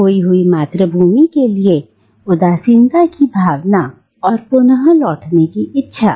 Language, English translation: Hindi, A sense of nostalgia for the lost homeland and a desire to return to it